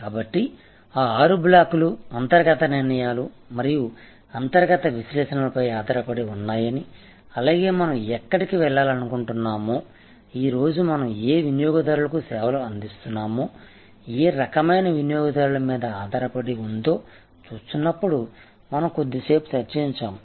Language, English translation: Telugu, So, positioning therefore, as we were discussing little while back when we look that those six blocks depend on internal decisions and internal analysis as well as internal assumes that is where we want to go, which customers we are serving today, which kind of customers we want to serve tomorrow it etc, these are all internal decisions